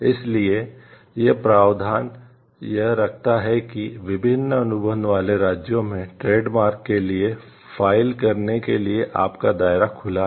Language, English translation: Hindi, So, these provision keeps it is your scope open to file for a trademarks in different contracting states